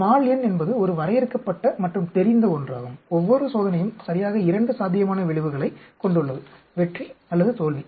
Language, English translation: Tamil, n is a finite and known, each trial has exactly two possible outcomes; success or failure